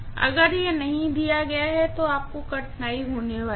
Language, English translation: Hindi, If it is not given then you are going to have difficulty